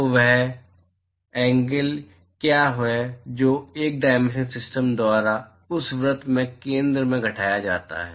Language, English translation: Hindi, So, what is the angle that is subtended by this 1 dimensional system to the center of that circle